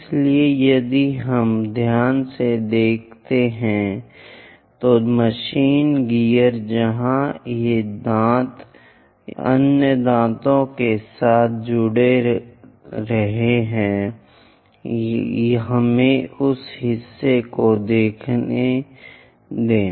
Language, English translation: Hindi, So, if we are looking at carefully, the machine gear where these teeth will be joining with the other teeth let us look at that part